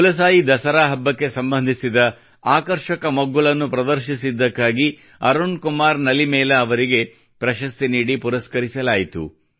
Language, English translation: Kannada, Arun Kumar Nalimelaji was awarded for showing an attractive aspect related to 'KulasaiDussehra'